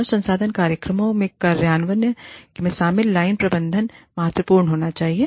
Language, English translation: Hindi, Line management involved, in the implementation of HR programs, should be significant